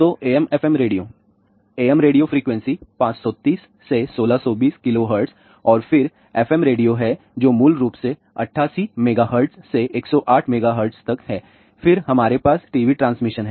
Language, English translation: Hindi, So, AM FM radio; AM radio frequency is from 530 to 1620 kilo hertz and then FM radio which is basically from 88 megahertz to 108 megahertz, then we have TV transmission